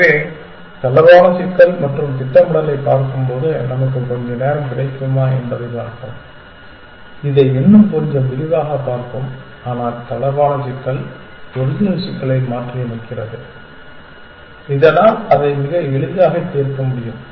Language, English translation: Tamil, So, relaxed problem and when we look at planning we will see if we get time we will look at this in a little bit more detail, but the relaxed problem is modifying the original problem, so that it can be solve more easily essentially